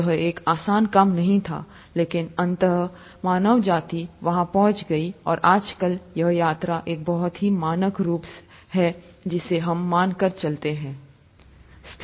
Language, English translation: Hindi, It was not an easy task, but ultimately, mankind got there, and nowadays it's a very standard form of travel that we take for granted